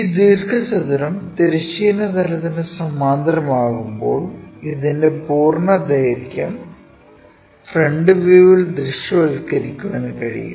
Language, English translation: Malayalam, When this rectangle is parallel to horizontal plane, the complete length of this rectangle one can visualize it in the front view